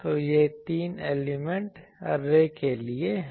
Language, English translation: Hindi, So, this is for a three element array